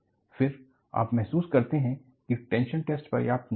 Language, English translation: Hindi, Then, you realize that tension test is not sufficient